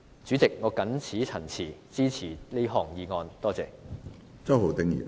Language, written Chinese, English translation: Cantonese, 主席，我謹此陳辭，支持這項議案。, With these remarks President I support this motion